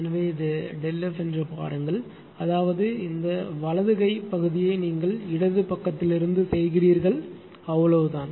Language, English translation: Tamil, So, look this is delta F; that means, this right hand portion you are making from the left side right that is all